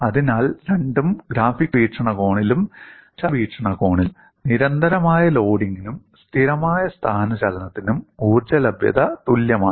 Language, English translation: Malayalam, So, from a mathematical perspective, the energy availability in the case of both constant loading and constant displacement is same